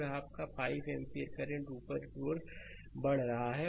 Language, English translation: Hindi, And this is your 5 ampere current moving upwards